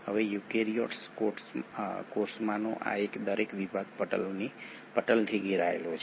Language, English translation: Gujarati, Now each of these sections in a eukaryotic cell is surrounded by the membraned itself